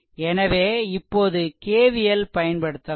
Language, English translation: Tamil, Therefore, if you apply KVL moving like this